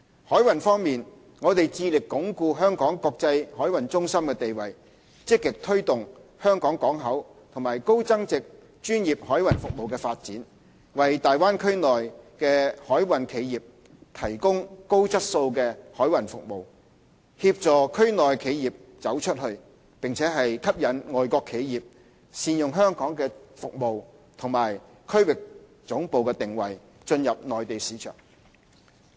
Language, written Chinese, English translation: Cantonese, 海運方面，我們致力鞏固香港國際海運中心的地位，積極推動香港港口和高增值專業海運服務發展，為大灣區內的海運企業提供高質素的海運服務，協助區內企業"走出去"，並吸引外國企業善用香港的服務及區域總部定位進入內地市場。, On maritime front we are committed to consolidating Hong Kongs status as an international maritime centre and to actively foster the development of HKP and high value - added professional maritime services with a view to providing high quality maritime services to the maritime enterprises in the Bay Area to assist them to go global as well as to attract overseas enterprises to use Hong Kongs services and regional headquarters positioning to access the Mainland market